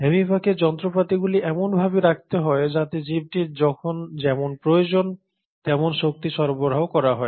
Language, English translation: Bengali, So the amoeba will have to have machinery in place where as and when the organism needs it, the energy is supplied